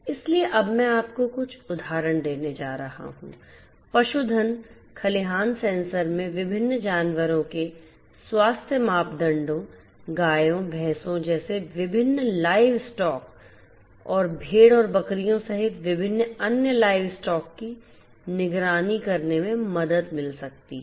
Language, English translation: Hindi, So, I am now going to give you some examples in the live stock barns sensors can help in monitoring the health parameters of different animals, different live stocks such as cows, buffaloes and different other live stocks including sheep and goats and so on